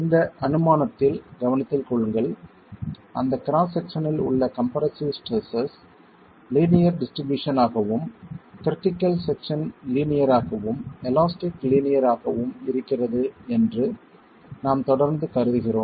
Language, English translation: Tamil, Mind you in this assumption we are still continuing to assume that the linear distribution of compressive stresses at that cross section, the critical section is linear elastic, is linear